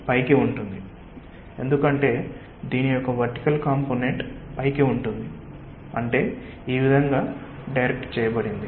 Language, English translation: Telugu, upwards, because the vertical component of this one is like upwards, i mean directed in this way